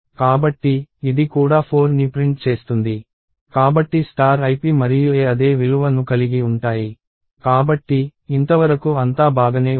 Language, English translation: Telugu, So, this will also print 4, so star ip and a contain the same value, so, so far so good